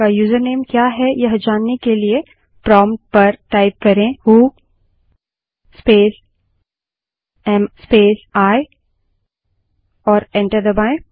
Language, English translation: Hindi, To know what is your username, type at the prompt who space am space I and press enter